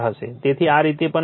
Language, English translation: Gujarati, So, this we can write